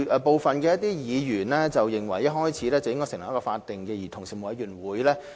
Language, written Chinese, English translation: Cantonese, 部分議員認為一開始便應成立一個法定的委員會。, Some Members think that a statutory commission should be set up right at the beginning